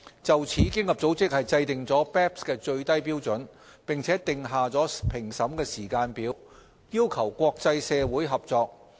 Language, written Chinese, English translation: Cantonese, 就此，經合組織制訂了 BEPS 的最低標準，並訂下評審時間表，要求國際社會合作。, To this end OECD promulgated the minimum standards of the BEPS package and drew up a timetable for assessment requiring the cooperation of the international community